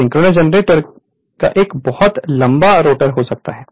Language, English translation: Hindi, Synchronous generator may have a very long rotor right